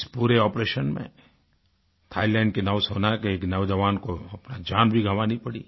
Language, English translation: Hindi, During the operation, a sailor from Thailand Navy sacrificed his life